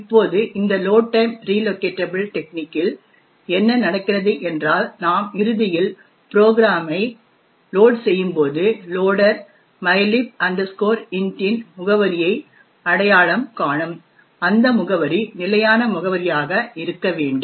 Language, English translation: Tamil, Now, in the load time relocatable technique what happens is when we eventually load this program the loader would identify the address of mylib int has to be fixed